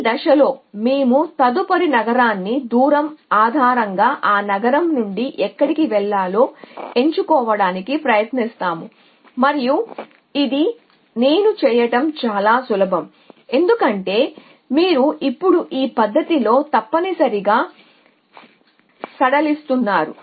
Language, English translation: Telugu, At every stage we try to choose where to go from that city based on the distance to the next city and that is easy to do with this I, because you are now easing in this fashion essentially